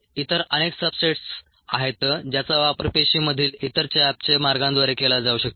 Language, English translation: Marathi, there are many other substrates that can get utilized through other such metabolic pathways in the cell